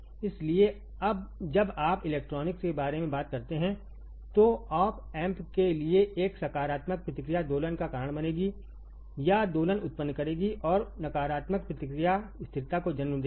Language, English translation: Hindi, So, for the op amp when you talk about electronics a positive feedback will cause oscillation or generate oscillations and negative feedback will lead to stability ok